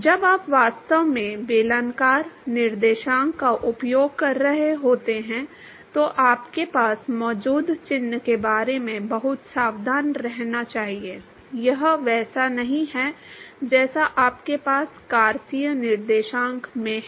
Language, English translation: Hindi, Should be very careful about the sign that you have, when you are actually using cylindrical coordinates, it is not the same as what you have in Cartesian coordinates